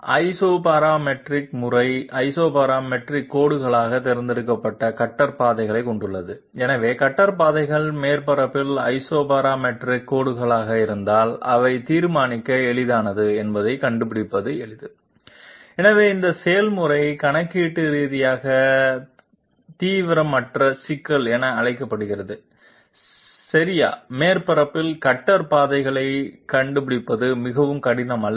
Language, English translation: Tamil, The Isoparametric method has the cutter paths chosen as the Isoparametric lines themselves, so if the cutter paths are Isoparametric lines on the surface, they are easy to find out they are easy to determine and therefore this process is called known as Computationally non intensive problem okay, it is not very difficult to find out the cutter paths on the surface